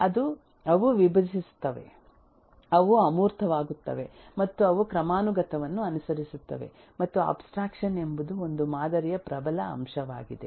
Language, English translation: Kannada, They decompose, they abstract and they follow the hierarchy and the strongest eh element of a model is abstraction